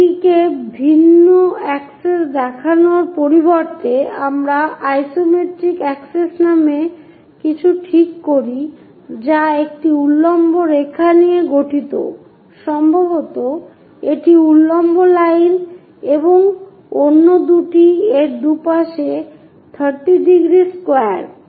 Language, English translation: Bengali, Rather than showing it on different access, we fix something named isometric access which consists of a vertical line, perhaps this is the vertical line and two others with 30 degrees square on either side of it